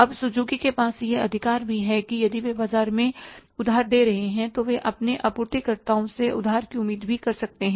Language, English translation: Hindi, Now, Suzuki has also the right that if they are giving the credit in the market, they can also expect the credit from their suppliers